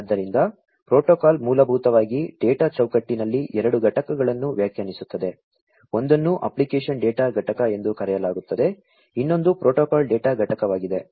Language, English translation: Kannada, So, the protocol basically defines two units in the data frame; one is known as the application data unit, the other one is the protocol data unit